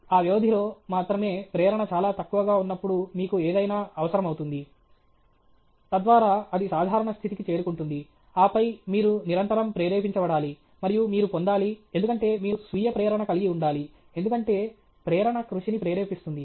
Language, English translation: Telugu, Whenever the motivation is very low only during those periods you require something, so that it gets back to normalcy, and then, because you have to be motivated constantly, and you have to get… you have to be self motivated, because motivation propels hard work okay